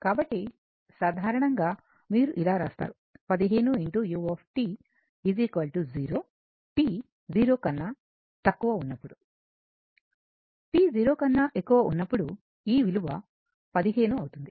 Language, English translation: Telugu, So, in general your when you write 15 of u t that is equal to your this one is equal to 0, when t less than 0 and is equal to 15, when t greater than 0 right